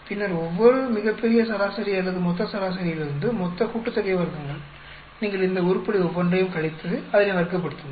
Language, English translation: Tamil, Then total sum of squares is from each of the grand average or global average you subtract each of these item and square it up